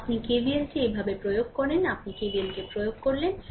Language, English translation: Bengali, So, you apply KVL like this, you apply KVL like this